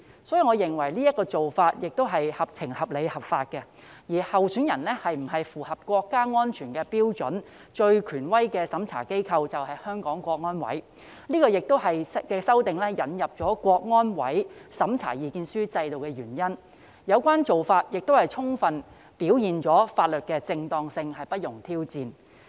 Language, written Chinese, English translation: Cantonese, 所以，我認為這做法是合情、合理、合法，而候選人是否符合國家安全標準，最權威的審查機構就是香港國安委，這也是在修訂中引入香港國安委審查意見書制度的原因，有關做法亦充分表現了法律的正當性不容挑戰。, I think this is justifiable reasonable and legal and the most authoritative body to examine whether a candidate meets the national security standards is CSNS . This explains why a mechanism for CSNS to issue an opinion is introduced in the amendments and fully demonstrates that the legitimacy of the law shall not be challenged